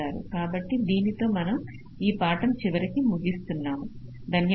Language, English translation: Telugu, so i think with this we come to the end of this lecture